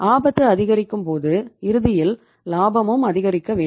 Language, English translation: Tamil, When the cost is increasing ultimately the profit will go down